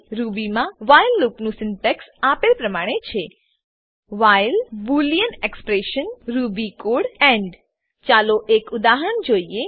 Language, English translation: Gujarati, The syntax of the while loop in Ruby is as follows: while boolean expression ruby code end Let us look at an example